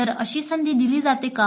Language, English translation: Marathi, So is there such an opportunity given